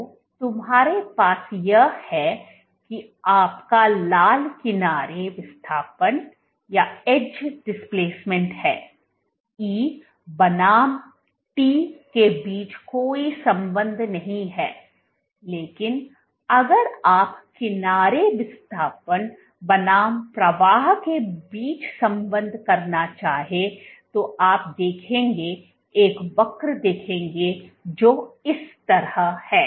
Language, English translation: Hindi, So, what you have your red is the edge displacement there is no correlation between E versus T, but if you do the correlation between edge displacement versus flow what you will observe is a curve which is like this